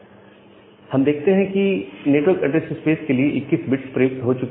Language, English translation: Hindi, So, here we see that well, the 21 bits have been used for the network address space